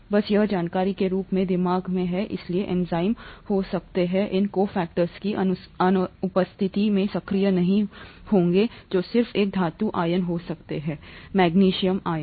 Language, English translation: Hindi, Just have this in mind as information, so the enzymes may not be active in the absence of these cofactors which could just be a metal ion